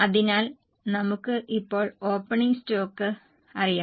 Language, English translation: Malayalam, We also know the opening stock